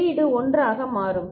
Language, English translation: Tamil, the output will become 1